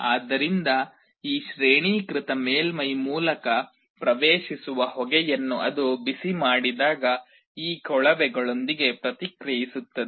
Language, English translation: Kannada, So, when it heats up the smoke that enters through this graded surface, will react with those tubes